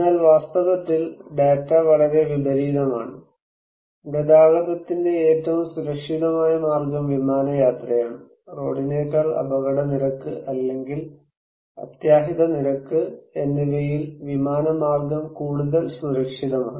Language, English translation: Malayalam, But actually, data is very opposite; aviation is one of the safest medium of transport; mode of transport so, by air is much safer from the point of accident rate or casualty rates than by road